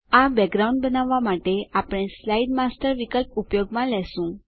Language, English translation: Gujarati, We shall use the Slide Master option to create this background